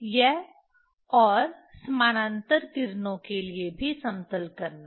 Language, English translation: Hindi, This and also leveling for parallel rays